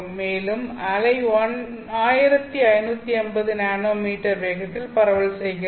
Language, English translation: Tamil, And I want the wave to be propagating at 1550 nanometer